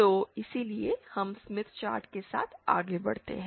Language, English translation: Hindi, So, that was, so this is the way we move along the Smith chart